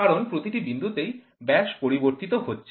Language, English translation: Bengali, Because at every point there is a change in the diameter